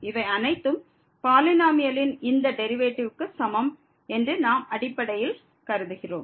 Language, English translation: Tamil, So, having this condition first we know that the first derivative of this polynomial here is equal to